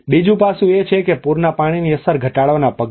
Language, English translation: Gujarati, The other aspect is the measures to mitigate the impact of floodwater